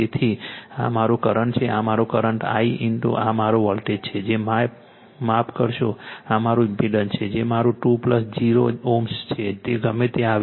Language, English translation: Gujarati, So, this is my current this is my current I into this is my voltage that is my sorry this is my impedance that is my 2 plus 0 ohm whatever it comes right